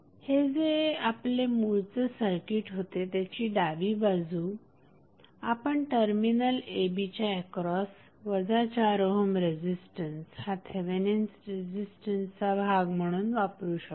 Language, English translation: Marathi, So, the left side of this which was our original circuit can be replaced by only the 4 ohm that is minus 4 ohm resistance that is Thevenin resistance connected across terminal a and b